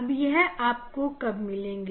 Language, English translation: Hindi, this when you will get this one